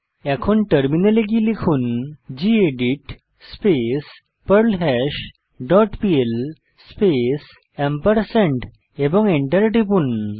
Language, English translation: Bengali, Switch to terminal and type gedit perlHash dot pl space and press Enter